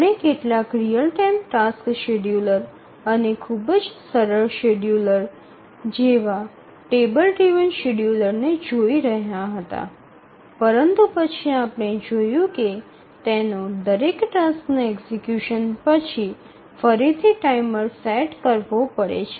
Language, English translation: Gujarati, We had looked at very simple schedulers like table driven schedulers, but then we saw that it had its disadvantage requiring to set a timer again and again after each task's execution